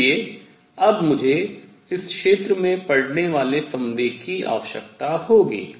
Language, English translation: Hindi, So, what I will need now is the momentum that is falling on this area